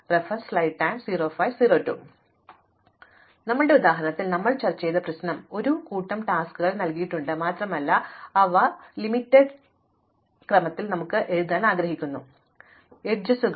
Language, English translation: Malayalam, So, the problem that we had adressed in our example is that we are given a set of tasks and we want to write them out in a sequence which respects the constraints, the constraints are nothing but, the edges